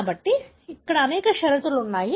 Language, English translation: Telugu, So, there are many conditions